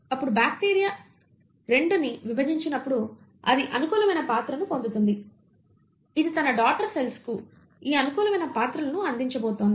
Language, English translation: Telugu, And that favourable character will then be acquired by the bacteria 2 and as the bacteria 2 divides; it is going to pass on these favourable characters to its daughter cells